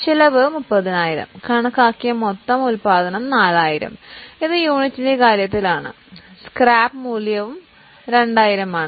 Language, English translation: Malayalam, So, cost is 30,000, estimated total production is 4,000, it is in terms of units, the scrap value is 2,000